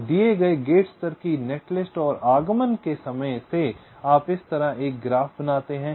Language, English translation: Hindi, so from the given gate level net list and the arrival times, you create a graph like this